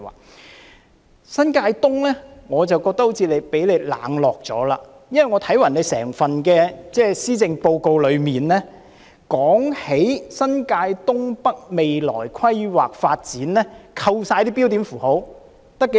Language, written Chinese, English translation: Cantonese, 至於新界東，我覺得它好像被局長你冷落了，因為我看整份施政報告中提及新界東北未來規劃發展的內容，在扣除標點符號後，字數有多少呢？, In contrast it appears to me that New Territories East is neglected by you Secretary . I have read the part about the planning and development of North East New Territories in the Policy Address . So how many characters are there?